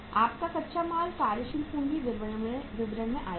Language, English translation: Hindi, Your raw material has come from the working capital statement